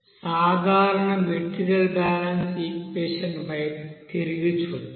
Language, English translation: Telugu, So let us look back into the general material balance equation